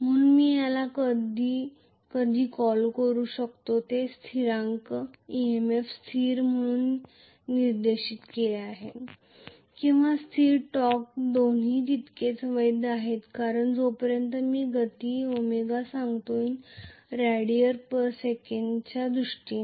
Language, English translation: Marathi, So I can call this sometime this constant is specified as EMF constant or torque constant both are equally valid because as long as I tell the speed omega in terms of radians per second